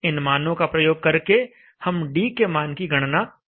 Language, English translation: Hindi, So using those values we can calculate what should be the value of T